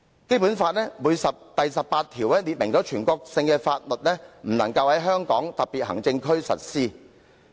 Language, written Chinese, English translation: Cantonese, 《基本法》第十八條訂明，全國性的法例不能在香港特別行政區實施。, It is stipulated in Article 18 of the Basic Law that national laws shall not be applied in the HKSAR